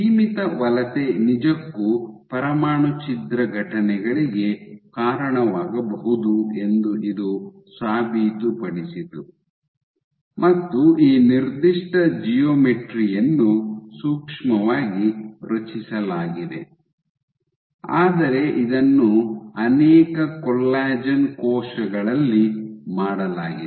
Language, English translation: Kannada, So, this proved that confine migration can indeed lead two nuclear rapture events, and while this particular geometry was micro fabricated, but they have done in multiple collagen cells